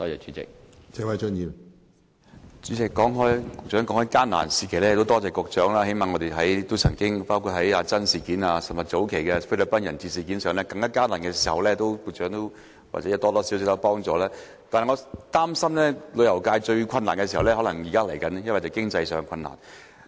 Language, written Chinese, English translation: Cantonese, 主席，局長說到艱難時期，其實很多謝局長，我們曾經歷過"阿珍事件"，以及早幾年的菲律賓人質事件，在這些艱難時期，局長或多或少都有幫忙，但我擔心現在才是旅遊界最困難時候，這是屬於經濟上的困難。, President the Secretary talked about difficult times; we experienced the Ah Zhen incident and the hostage - taking incident in the Philippines some years ago . We are indeed grateful to him for his efforts made during the difficult times . However I am worried that it is now the most difficult time of our tourism industry which is related to economic difficulties